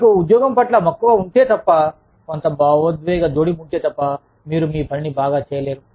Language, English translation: Telugu, Unless, you are passionate about your job, unless, there is some emotional attachment, you cannot do your work, well